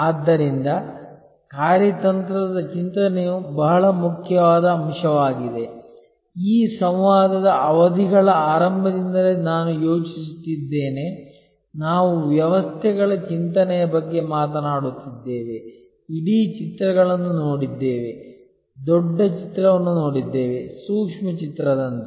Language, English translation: Kannada, So, strategic thinking which is a very important aspect, I think right from the beginning of this interaction sessions, we have been talking about systems thinking, seeing the whole pictures, seeing the big picture as well as the micro picture